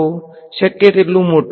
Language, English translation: Gujarati, As large as possible